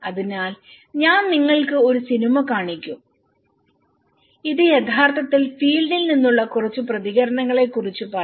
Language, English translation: Malayalam, So, I will show you a movie and this will actually talk about a few responses from the field